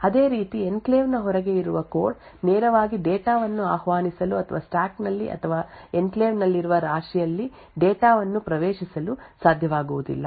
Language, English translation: Kannada, Similarly code present outside the enclave will not be able to directly invoke data or access data in the stack or in the heap present in the enclave